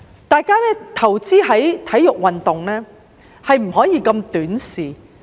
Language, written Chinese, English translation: Cantonese, 大家投資在體育運動，不可以如此短視。, We should not be so short - sighted in our investment in sports